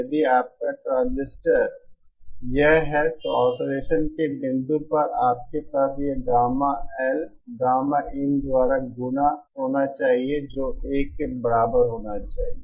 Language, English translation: Hindi, If your transistor is this, then at the point of oscillation you should have this Gamma L multiplied by Gamma in should be equal to 1